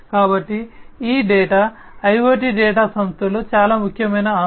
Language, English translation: Telugu, So, this data the IoT data is very important asset within the company